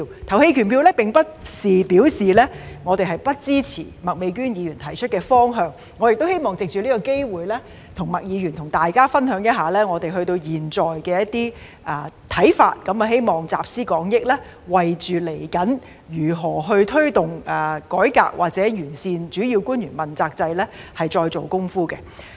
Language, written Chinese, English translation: Cantonese, 這並不表示我們不支持麥美娟議員提出的方向，我亦希望藉此機會與麥議員和大家分享一下我們至今的一些看法，希望集思廣益，為探討未來如何推動改革或完善主要官員問責制再做工夫。, I would also like to take this opportunity to share some of our views to date with Ms MAK and all Members with a view to drawing on collective wisdom to further our efforts in exploring how to drive forward the reform or improvement of the accountability system for principal officials in the future